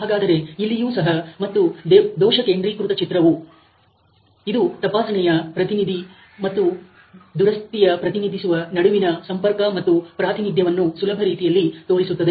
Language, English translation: Kannada, So, here also and the defect concentration diagram, it is sort of giving an easy way of representation and communication between the inspection representative and the repair representative